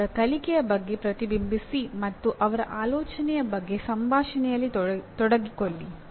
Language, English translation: Kannada, Reflect on their learning and engage in conversation about their thinking